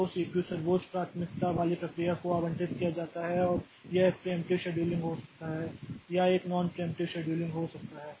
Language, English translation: Hindi, So, the CPU is allocated to the process with highest priority and it can be a preemptive scheduling or it can be a non preemptive scheduling